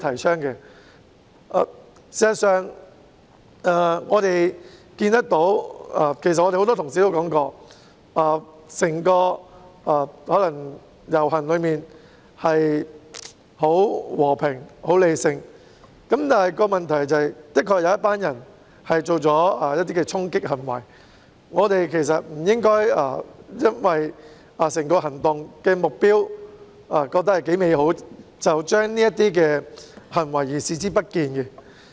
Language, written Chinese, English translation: Cantonese, 事實上，我們看見——亦有很多同事提及——整個遊行可能很和平理性，但問題是的確有一群人作出衝擊行為，我們不應該基於認為整個行動的目標頗美好，便對這些行為視而不見。, As a matter of fact we can see that―many Honourable colleagues have mentioned this as well―whilst the entire procession might be very peaceful and rational the problem is that there was indeed a group of people who staged charging acts . We should not turn a blind eye to these acts based on the belief that the goal of the entire action is quite lofty